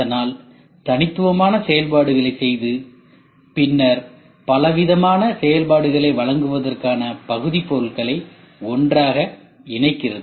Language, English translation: Tamil, So, performing discrete functions and then connecting the units together to provide a variety of functions